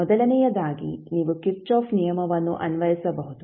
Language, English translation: Kannada, First is that you can simply apply kirchhoff’s law